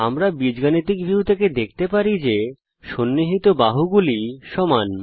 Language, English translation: Bengali, We can see from the Algebra View that 2 pairs of adjacent sides are equal